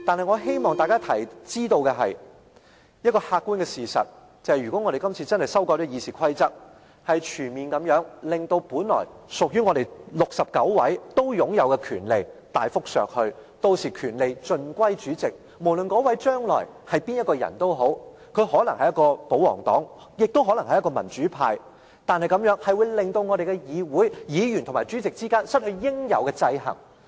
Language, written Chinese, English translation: Cantonese, 我希望大家知道一個客觀的事實，就是如果我們今次真的修改了《議事規則》，是全面地令本來屬於我們69位都擁有的權力大幅削去，屆時權力盡歸主席，無論那位將來是誰，他可能是保皇黨，也可能是民主派，但這樣會令我們的議會，議員和主席之間失去應有的制衡。, I hope to tell Members an objective fact that the RoP amendments if passed would comprehensively and substantially reduce the power originally held by the 69 Members . All power would thus be vested in the President . No matter who would take up the Presidency in the future whether they are from the pro - Government camp or the democratic camp the amendments will upset the proper balance between Members and the President in the Council